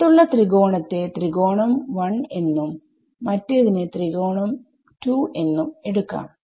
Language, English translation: Malayalam, For the triangle outside over here, let us call it triangle 1 and this call it triangle 2